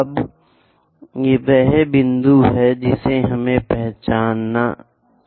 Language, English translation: Hindi, Now, this is the point what we are identifying